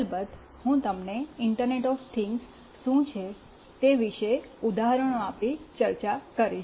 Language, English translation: Gujarati, Of course, I will be discussing about what is internet of things giving you some examples